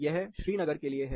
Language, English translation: Hindi, This is for Srinagar